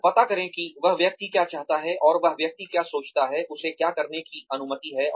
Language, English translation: Hindi, So, find out, what the person wants, and what the person thinks about, what he or she is permitted to doing, or permitted to do